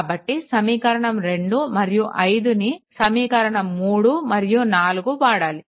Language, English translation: Telugu, So, substitute equation 2 and 5 in equation 3 and 4 right